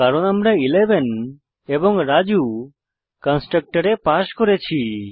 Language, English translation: Bengali, Because we have passed the values 11 and Raju the constructor